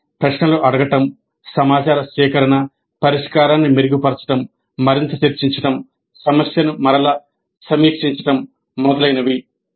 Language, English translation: Telugu, So it is a cycle of asking questions, information gathering, refining the solution, further discussion, revisiting the problem and so on